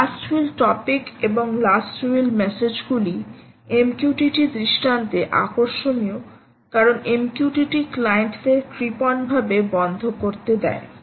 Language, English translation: Bengali, last will and last will topic and last will messages are interesting, again in the m q t t paradigm because m q t t allows ungraceful shutdown of clients